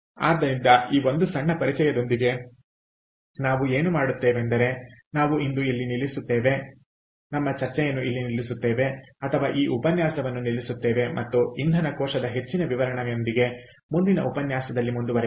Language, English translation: Kannada, ok, so, with that small introduction, what we will do is we will stop today, ah, or stop this lecture, and we will continue in the next lecture with for the description of fuel cell